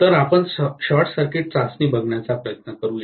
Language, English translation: Marathi, So, let us try to look at the short circuit test